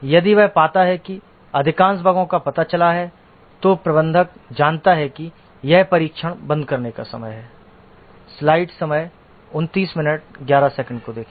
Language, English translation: Hindi, If he finds that most of the bugs have got detected, then the manager knows that it is the time to stop testing